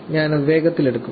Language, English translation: Malayalam, So, I will just quickly go over